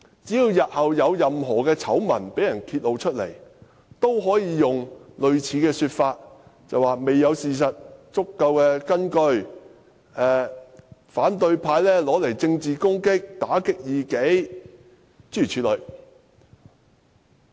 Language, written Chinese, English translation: Cantonese, 只要日後有任何醜聞被揭露，也可用類似說辭作辯解，說甚麼未有足夠事實根據，反對派便將之用作政治工具，打擊異己，諸如此類。, Should any of their wrongdoings come to light they could also defend themselves along similar lines say the opposition camp has turned the incident into a political tool of suppression even before it has been substantiated by sufficient facts and so on and so forth